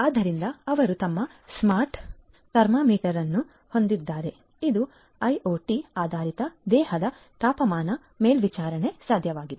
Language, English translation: Kannada, So, they have their smart thermometer which is an IoT based body temperature monitoring device